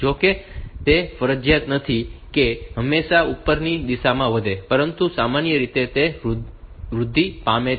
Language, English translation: Gujarati, Though it is not mandatory that it will always grow in the upward direction, but by in general it is made to grow in that way